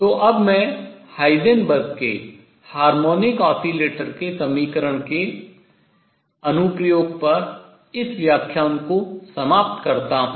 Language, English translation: Hindi, So, let me now conclude this lecture on Heisenberg’s application of his equation to harmonic oscillator and write